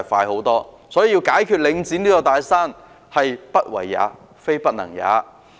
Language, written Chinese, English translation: Cantonese, 有鑒於此，要解決領展這座"大山"是"不為也，非不能也"。, In view of this whether this big mountain Link REIT can be overcome is a question of unwillingness not inability